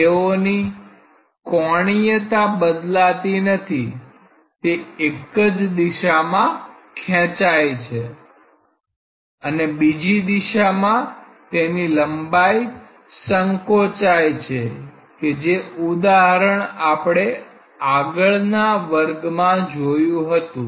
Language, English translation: Gujarati, It does not change anything angularly, it just get stretched along one direction and reduced in length along the other direction that example we saw in the previous class